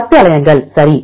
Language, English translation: Tamil, 10 alanines, right